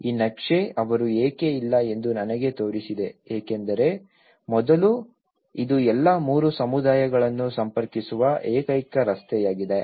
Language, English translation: Kannada, This map, have shown me why they are not because earlier, this is the only street which was connecting all the three communities